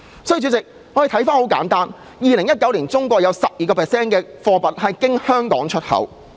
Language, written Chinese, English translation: Cantonese, 主席，在2019年，中國有 12% 貨物經香港出口。, President in 2019 12 % of Chinas exports were routed through Hong Kong